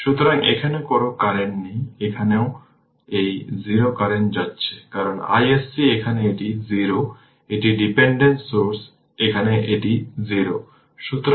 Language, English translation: Bengali, So, no current is here also here also it is going 0 current because i s c here it is 0 it is dependent source here it is 0